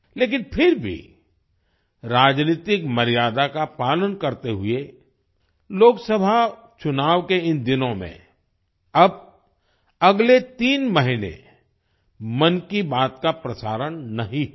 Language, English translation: Hindi, But still, adhering to political decorum, 'Mann Ki Baat' will not be broadcast for the next three months in these days of Lok Sabha elections